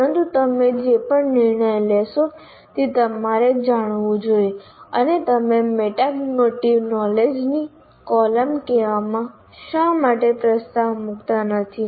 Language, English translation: Gujarati, But any decision that you make, it should be conscious and why we are not addressing the, let's say the column of metacognity